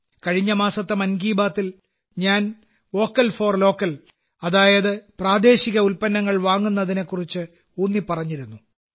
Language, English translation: Malayalam, Last month in 'Mann Ki Baat' I had laid emphasis on 'Vocal for Local' i